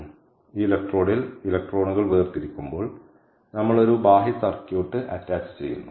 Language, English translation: Malayalam, so when the electrons are separated at this electrode, we attach an external circuit